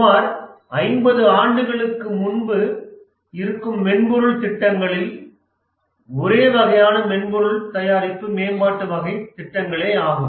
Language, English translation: Tamil, About 50 years back, the only type of software projects that were existing were software product development type of projects